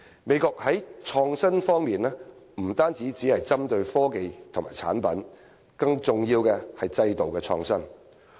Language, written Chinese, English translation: Cantonese, 美國在創新方面不只針對科技和產品，更重要的是制度創新。, In the United States emphasis is put not only on innovations in technology and products but more importantly on institutional innovation